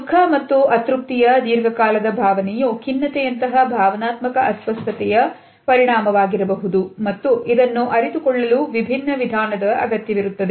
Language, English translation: Kannada, A prolonged feeling of sorrow and unhappiness can also be a result of an emotional disorder like depression and may require a different approach